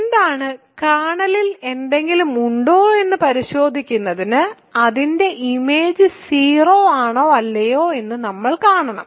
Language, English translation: Malayalam, So, what is, in order to check if something is in the kernel we have to see if it is it is image is 0 or not